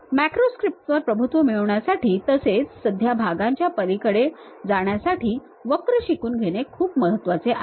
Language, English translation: Marathi, The learning curve to master macro scripts is steep and moving beyond simple parts